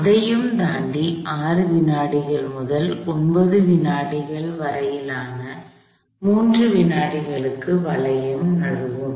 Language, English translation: Tamil, Beyond that, for the 3 seconds from 6 seconds to 9 seconds, the hoop will slip